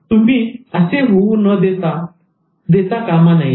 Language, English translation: Marathi, So that you should not let it happen